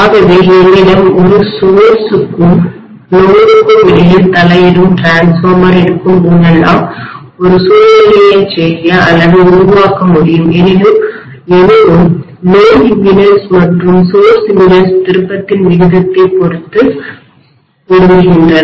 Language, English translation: Tamil, So whenever I have an intervening transformer between a source and the load I will be able to make or create a situation as though the load impedance and source impedances are being matched depending upon the turn’s ratio